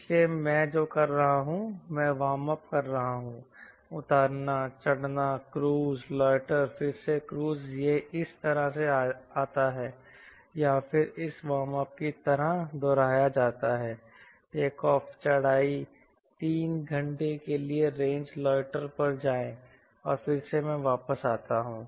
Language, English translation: Hindi, iam warming up, take off, climb, cruise, loiter again, cruise, this, come like this, or again repeated like this: warm up, take off, climb, go to the range, loiter for three hours again i come back